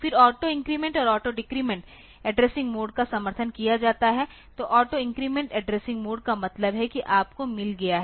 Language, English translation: Hindi, Then auto increment and auto decrement addressing modes are supported so, auto increment addressing mode means that you have got